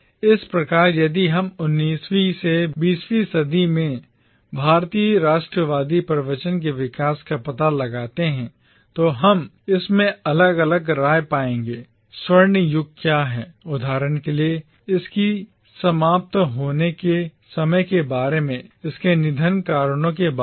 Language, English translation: Hindi, Thus, if we trace the development of the Indian nationalist discourse from the 19th to the 20th century we will find in it differing opinions about what constitutes the golden age for instance, about the time when it ended, about the reasons which led to its demise and things like that